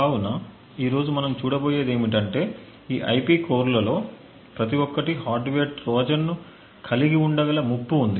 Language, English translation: Telugu, So, what we will be looking at today is the threat that each of these IP cores could potentially have a hardware Trojan present in them